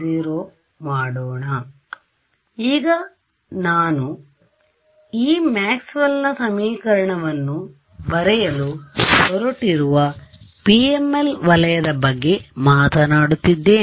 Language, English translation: Kannada, So, now I am talking about the PML region where I am going to write this Maxwell’s equation